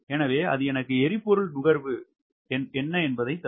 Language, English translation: Tamil, what is the fuel consumption